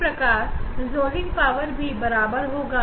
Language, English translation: Hindi, Similarly, for resolving power are equal to m n x